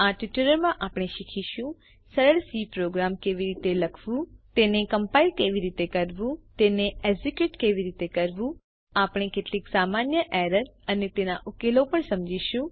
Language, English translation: Gujarati, In this tutorial, we will learn How to write a simple C program How to compile it How to execute it We will also explain some common errors and their solutions